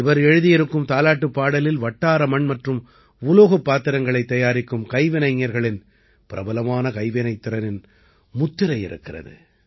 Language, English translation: Tamil, The lullaby he has written bears a reflection of the popular craft of the artisans who make clay and pot vessels locally